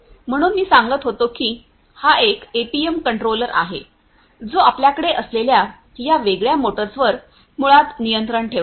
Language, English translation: Marathi, So, so, as I was telling you that this is this APM controller which basically will control these different motors that we have